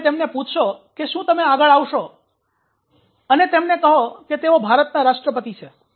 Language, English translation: Gujarati, if you ask can you come down to the front and say that you are president of india why